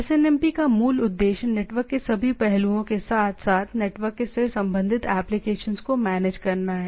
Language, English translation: Hindi, So SNMP, so fundamental objective or basic objective of SNMP is to manage all aspects of network as well as application related to the network